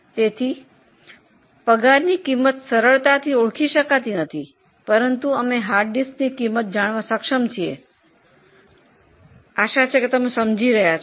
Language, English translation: Gujarati, So, salary costs cannot be as easily identified as we are able to know the cost of hard disk